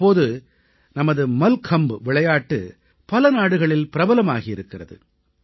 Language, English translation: Tamil, Nowadays our Mallakhambh too is gaining popularity in many countries